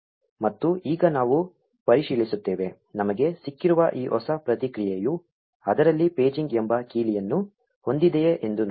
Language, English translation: Kannada, And now we will check, if this new response that we got has a key named paging in it